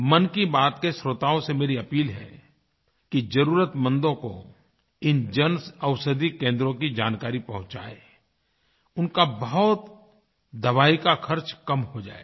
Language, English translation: Hindi, I appeal to the listeners of 'Mann Ki Baat' to provide this information about Jan Anshadhi Kendras to the needy ones it will cut their expense on medicines